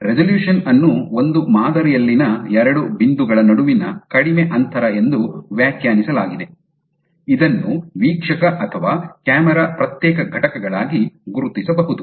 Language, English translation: Kannada, So, the resolution is defined as the shortest distance between 2 points on a specimen that can still be distinguished by the observer or camera as separate entities